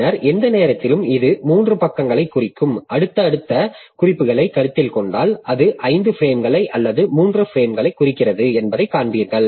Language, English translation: Tamil, Then at any point of time it will be referring to about three pages in a if you consider successive references then it will see that it is it is referring to three frames, not the five frames